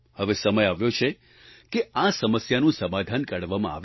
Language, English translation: Gujarati, Now the time has come to find a solution to this problem